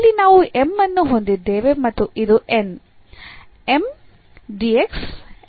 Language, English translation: Kannada, So, here we have M and this is N; M dx, N dy